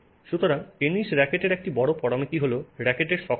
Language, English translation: Bengali, So in tennis rackets, one major parameter is the stiffness of the